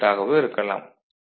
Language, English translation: Tamil, 5 volt ok